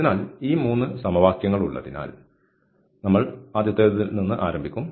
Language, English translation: Malayalam, So, having these 3 equations we will start with the first one